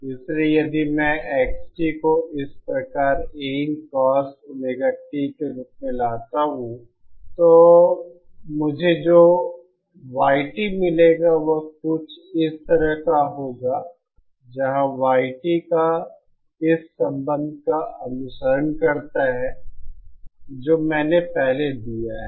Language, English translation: Hindi, So if my import X t is like this of this form A in Cos Omega t, then the Y t that I get will be like something like this, where Y t follows this relationship that I have given earlier